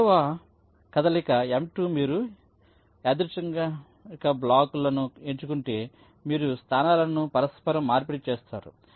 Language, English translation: Telugu, the second move, m two, says you pick up two random blocks, you interchange the locations